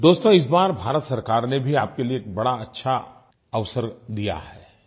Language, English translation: Hindi, Friends, this time around, the government of India has provided you with a great opportunity